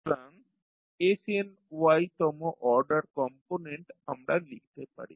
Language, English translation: Bengali, So, for nth order component we written snY